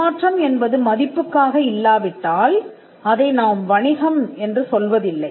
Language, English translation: Tamil, Now, if it is not for value, then we do not call it a business